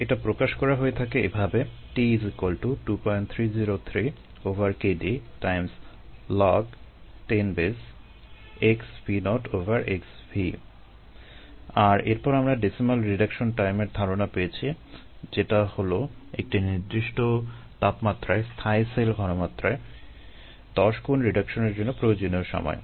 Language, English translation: Bengali, and then we saw the concept of a decimal reduction time, which is the time taken for a ten fold reduction in the viable cell concentration at a given temperature